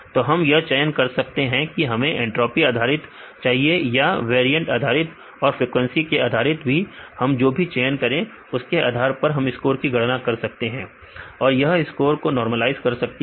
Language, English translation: Hindi, So, for we can choose where we need entropy based measure or the variant based measure and also the frequency also we can choose based on that we will calculate the score it will normalize a score